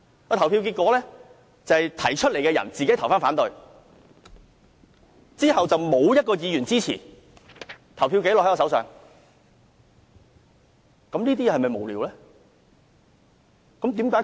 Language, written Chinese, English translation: Cantonese, 表決結果顯示，提出議案的人自己表決反對，沒有任何一位議員支持，表決紀錄就在我手上。, According to the voting result the mover of this motion voted against this CSA and no Members voted for it . I have got the voting result with me